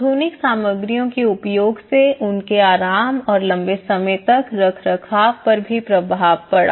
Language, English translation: Hindi, The usage of modern materials also had an impact on their thermal comforts and the long run maintenance